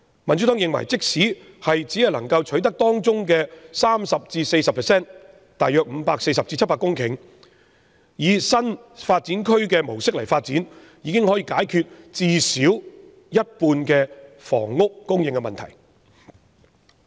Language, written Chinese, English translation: Cantonese, 民主黨認為，即使只可取得當中 30% 至 40% 以新發展區模式進行發展，亦可解決最少一半的房屋供應問題。, The Democratic Party opines that even if only 30 % to 40 % of them can be secured for development under the new development area approach it can solve at least half of the problems relating to housing supply